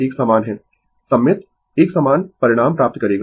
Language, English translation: Hindi, It is same symmetrical you will get the same result right